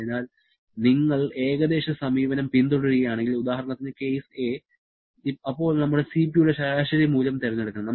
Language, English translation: Malayalam, So, if you follow the approximate approach, then we have to choose an average value of Cp